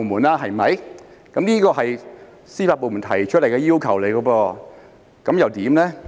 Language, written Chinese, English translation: Cantonese, 修例是司法部門提出的要求，他們有何看法呢？, This legislative amendment exercise is in response to the request of the judicial department . What do they think about this?